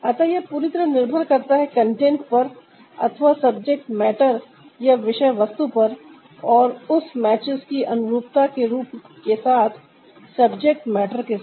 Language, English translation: Hindi, so ah, this is totally depending on the content or the subject matter and the suitability of the form ah of that that matches with the subject matter